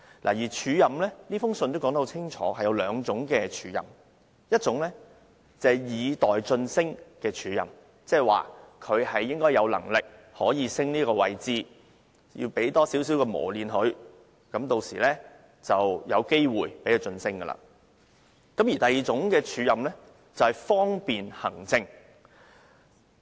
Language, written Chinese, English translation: Cantonese, 他在信中清楚說明署任分為兩種：一種是以待晉升的署任，意即有關人員有能力晉升，安排署任是要給予磨練，一旦機會出現便會獲晉升；另一種署任則是方便行政。, In the letter he stated clearly that there are two kinds of acting appointment One is acting with a view meaning that the officer concerned is capable of being promoted and the acting appointment is for honing his skills so that once the opportunity arises he will be promoted; the other is acting for administrative convenience